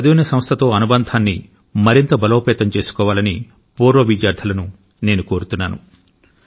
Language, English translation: Telugu, I would like to urge former students to keep consolidating their bonding with the institution in which they have studied